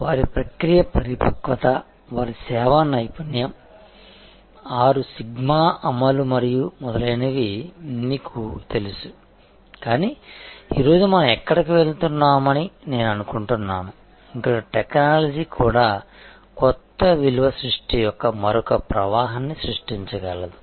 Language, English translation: Telugu, You know their process maturity, their service excellence, implementation of 6 sigma and so on, but today I think we are moving somewhere here, where technology itself can actually create another stream of new value creation